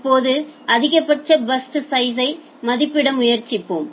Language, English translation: Tamil, Now let us try to estimate the maximum burst size